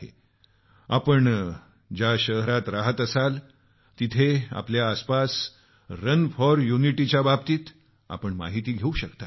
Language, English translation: Marathi, And so, in whichever city you reside, you can find out about the 'Run for Unity' schedule